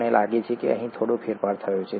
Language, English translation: Gujarati, I think there has been a slight shift here